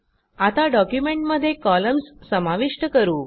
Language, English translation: Marathi, Now lets insert columns into our document